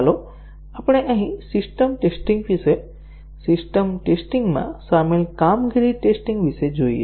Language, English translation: Gujarati, Let us look here about the system test, about the performance tests involved in system testing